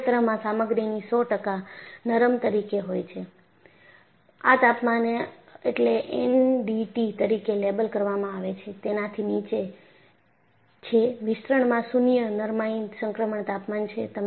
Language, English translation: Gujarati, So, in this region, the material is 100 percent ductile; below this temperature, which is labeled as NDT, the expansion is nil ductility transition temperature